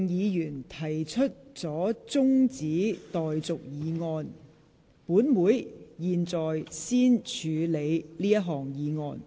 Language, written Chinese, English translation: Cantonese, 由於毛孟靜議員提出了中止待續議案，本會現在先處理這項議案。, As Ms Claudia MO has moved a motion for adjournment of debate Council will deal with this motion first